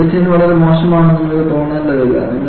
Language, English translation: Malayalam, And finally, you know, you do not have to feel that the design was very bad